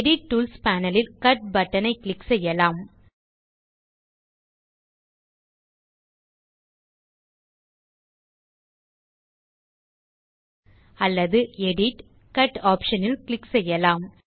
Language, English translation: Tamil, We can also click on the Cut button in the Edit tools panel OR click on Edit gtgt Cut option